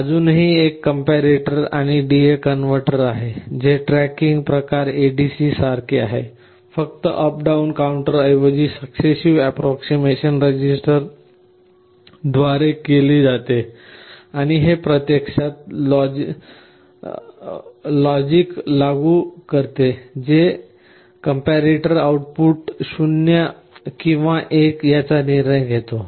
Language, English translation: Marathi, There is still a comparator and a D/A converter, very similar to a tracking type ADC; just the up down counter is replaced by a successive approximation register and this implements actually the logic, which we mentioned depending on whether the output of the comparator is 0 or 1 it takes a decision